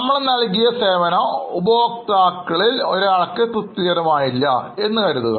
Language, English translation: Malayalam, Suppose one of our customer feels that whatever service we have given is not a satisfactory service